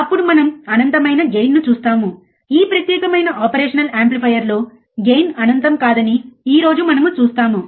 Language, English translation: Telugu, Then we will see infinite gain, we will in this particular operation amplifier the gain will not be infinite that we will see today